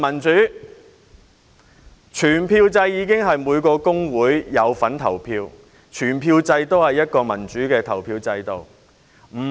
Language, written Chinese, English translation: Cantonese, 在全票制下，每個工會均可參與投票，是一個民主的投票制度。, Nevertheless under the block voting system every trade union can cast a vote and it is a democratic voting system